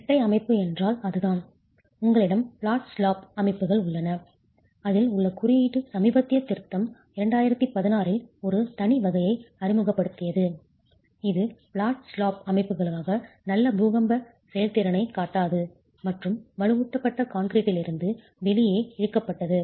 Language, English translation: Tamil, That's what a dual system is all about and then you have flat slab systems and the code has in its recent revision in 2016 introduced a separate category which does not show good earthquake performance as flat slab systems and pulled it out of reinforced concrete moment resisting frames or dual systems or shear wall systems